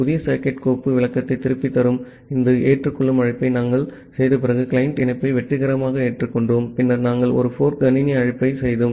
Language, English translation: Tamil, Here you see that after we are making this accept call, which is returning the new socket file descriptor then, we have successfully accepted a client connection then we making a fork system call